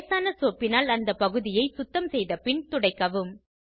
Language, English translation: Tamil, After cleaning the area with mild soap and water, wipe it dry